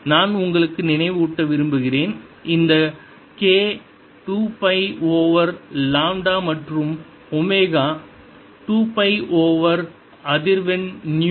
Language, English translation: Tamil, i want to remind you that this k is two pi over lambda and omega is two pi times a frequency nu